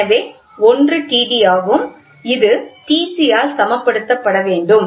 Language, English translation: Tamil, So, one is T d, the T d has to be balanced by T c, right